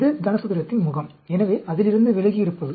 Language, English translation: Tamil, This is the face of the cube; so, away from it